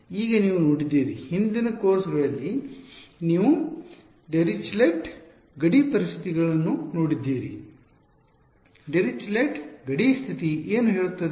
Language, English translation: Kannada, Now you have seen so, far in previous courses you have seen Dirichlet boundary conditions what would Dirichlet boundary condition say